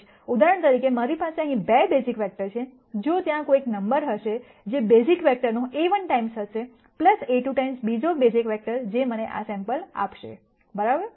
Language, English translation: Gujarati, So, for example, since I have 2 basis vectors here, there is going to be some number alpha 1 times the basis vector, plus alpha 2 times the second basis vector, which will give me this sample right